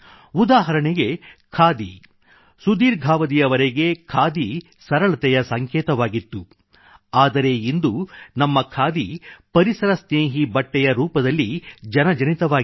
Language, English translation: Kannada, Khadi has remained a symbol of simplicity over a long period of time but now our khadi is getting known as an eco friendly fabric